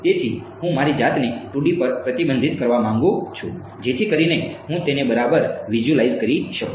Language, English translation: Gujarati, So, I want to restrict myself to 2 D so that I can visualize it ok